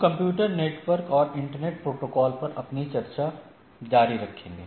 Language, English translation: Hindi, We will continue our discussion on Computer Networks and Internet Protocols